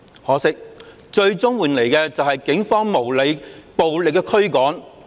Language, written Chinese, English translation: Cantonese, 可惜，最終換來的是警方無理、暴力的驅趕。, Regrettably we were ultimately driven away by the Police unreasonably and violently